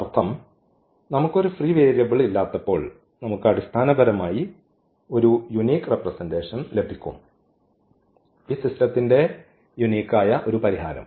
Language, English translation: Malayalam, Meaning when we do not have a free variable we will get basically the unique representation, the unique solution of this system